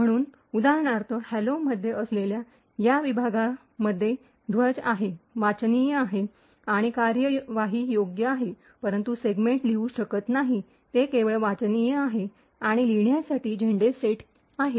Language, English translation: Marathi, So, for example this particular segment, which is present in hello has the, is readable, writable and executable while they segment cannot be written to, it is only read and write flags are set